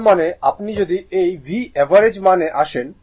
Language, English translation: Bengali, That means, if you come here that V average value